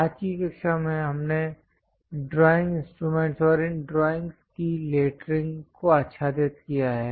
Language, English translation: Hindi, So, in today's class, we have covered drawing instruments and lettering of these drawings